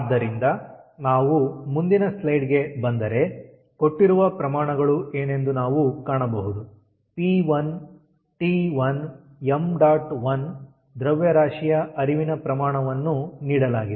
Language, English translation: Kannada, so, if we go back to the next slide, what we can find, that the given quantities are p one, t one and m dot one, the mass flow rate that is given